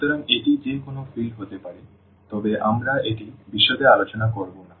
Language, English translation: Bengali, So, it can be any field, but we are not going to discuss that into details